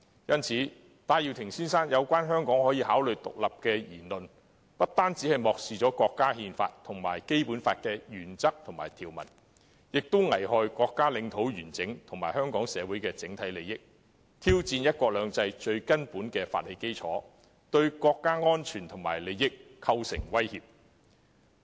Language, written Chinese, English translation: Cantonese, 因此，戴耀廷先生發表香港可以考慮獨立的言論，不單漠視了國家憲法及《基本法》的原則和條文，也危害國家領土完整及香港社會的整體利益，挑戰"一國兩制"最基本的法理基礎，而且對國家安全和利益構成威脅。, As such not only does Mr Benny TAIs remark that Hong Kong could consider becoming independent disregard the Constitution but it also jeopardizes the national territorial integrity and Hong Kong societys overall interest challenges the most fundamental legal basis of the principle of one country two systems and threatens national safety and interest